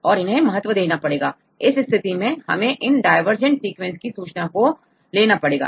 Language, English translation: Hindi, So, in that case you can include the information from these divergent sequences